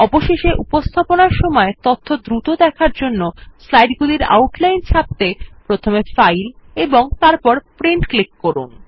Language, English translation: Bengali, Lastly, to print the outline of the slides for quick reference during a presentation, click on File and Print